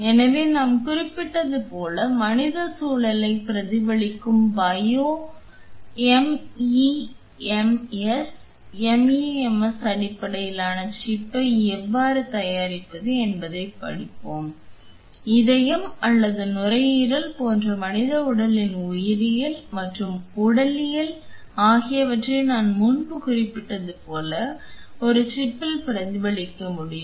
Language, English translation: Tamil, So, like we mentioned we will be studying how to make bio MEMS, MEMS based chip which would mimic the human environment, the biology and physiology of the human body like the heart or the lung can be mimicked into a chip like I mentioned before the bio chip